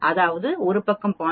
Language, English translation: Tamil, That means, this side is 0